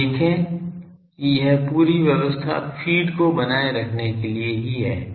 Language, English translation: Hindi, You see this whole arrangement is to maintain the feed